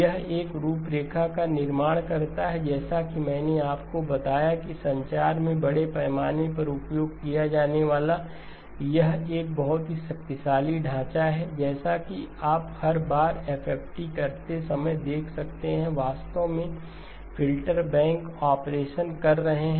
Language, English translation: Hindi, It builds up a framework, as I told you which is a very powerful framework extensively used in communications as you can see every time you do an FFT, you are actually doing a filter bank operation